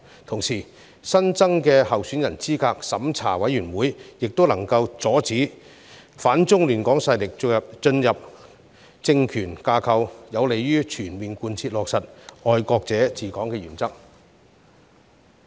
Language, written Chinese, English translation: Cantonese, 同時，新增的候選人資格審查委員會也能夠阻止反中亂港勢力進入政權架構，有利於全面貫徹落實"愛國者治港"的原則。, In the meantime the newly established Candidate Eligibility Review Committee can also stop anti - China forces from entering the political structure which is conducive to fully and faithfully implementing the principle of patriots administering Hong Kong